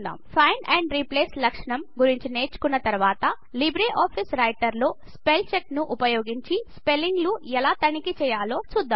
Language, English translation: Telugu, After learning about Find and Replace feature, we will now learn about how to check spellings in LibreOffice Writer using Spellcheck